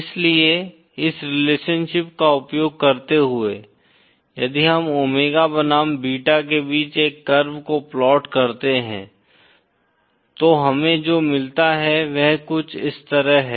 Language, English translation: Hindi, So using this relationship, if we plot a curve between omega vs beta, what we get is something like this